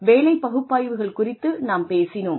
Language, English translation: Tamil, We talked about jobs, job analysis